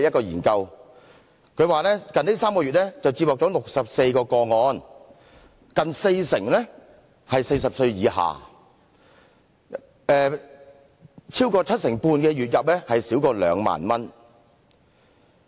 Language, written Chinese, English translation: Cantonese, 研究指出近3個月接獲64宗個案，近四成人40歲以下，超過七成半的人月入少於兩萬元。, The findings showed that in the previous three months 64 cases were received; close to 40 % of the respondents were aged under 40 and over 75 % made a monthly income of less than 20,000